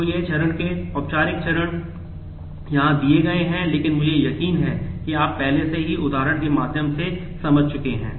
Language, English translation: Hindi, So, this is the formal steps of the step are given here, but I am sure you have already understood through the example